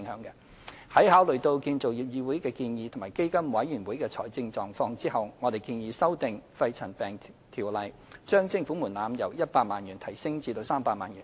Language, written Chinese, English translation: Cantonese, 在考慮議會的建議及基金委員會的財政狀況後，我們建議修訂《條例》，將徵款門檻由100萬元提高至300萬元。, Having considered the recommendation of CIC and the financial position of PCFB we propose to raise the levy threshold under PMCO from 1 million to 3 million